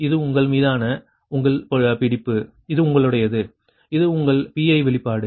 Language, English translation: Tamil, so this is your expression of pi, right, this is expression of pi